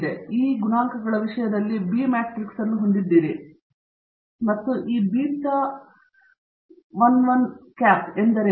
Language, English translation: Kannada, Then, you have the B matrix, given in terms of these coefficients and what is this beta hat 11